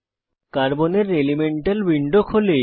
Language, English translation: Bengali, I will close the Carbon elemental window